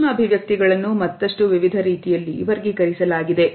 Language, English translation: Kannada, Micro expressions are further classified in various ways